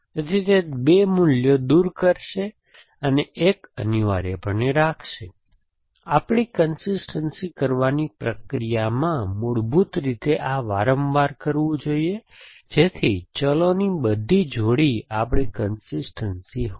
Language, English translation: Gujarati, So, it will remove 2 values and keep one essentially, so the process of doing our consistency, basically doing this repeatedly so that all pairs of variables are our consistency essentially